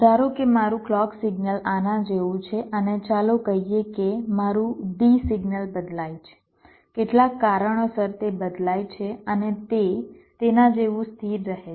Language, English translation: Gujarati, so when the clock becomes zero, like what i am saying, is that suppose my clock signal is like this and lets say, my d signal changes, because of some reason it changes and it remains stable like that